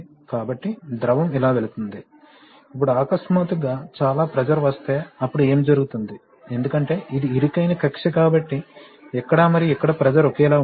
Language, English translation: Telugu, So, the fluid is passing like this, now if there is a sudden, very suddenly pressurizes then what will happen is that, because this is narrow orifice so the pressure here and here will not be same